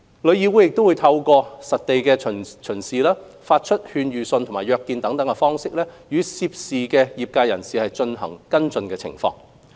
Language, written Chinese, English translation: Cantonese, 旅議會會透過實地巡視、發出勸諭信和約見等，與涉事業界人士跟進其接待入境旅行團的情況。, Through on - site inspection advisory letters meetings etc TIC follows up with the trade members concerned on their arrangements to receive inbound tour groups